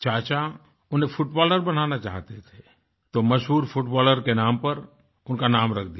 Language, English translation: Hindi, His uncle wanted him to become a footballer, and hence had named him after the famous footballer